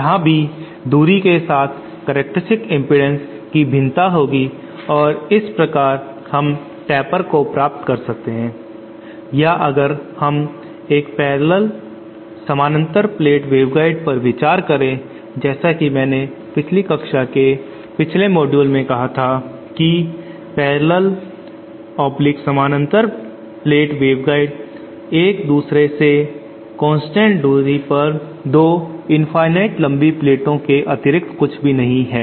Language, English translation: Hindi, Here also we will have a variation of the characteristic impedance with distance and thus we can achieve the taper or if we consider a parallel plate wave guide where in the previous class previous module I said that parallel plate wave guide is nothing but two infinitely long plates at constant distant from each other